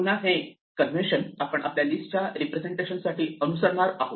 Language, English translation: Marathi, So, this is the convention that we shall follow for our representation of a list